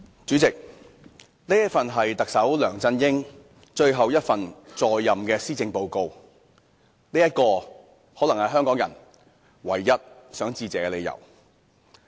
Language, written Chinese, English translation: Cantonese, 主席，這份是特首梁振英在任最後一份施政報告，這可能是香港人唯一想致謝的理由。, President perhaps the only reason for Hong Kong people to feel thankful is that this is Chief Executive LEUNG Chun - yings last Policy Address